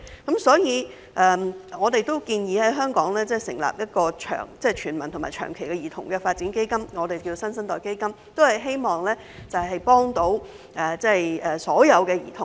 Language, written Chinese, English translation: Cantonese, 因此，我們建議在香港成立一個涵蓋全民和長期的兒童發展基金，並稱之為"新生代基金"，目的是幫助所有兒童。, Therefore we propose establishing in Hong Kong a universal and long - term child development fund named New Generation Fund with an aim of helping all children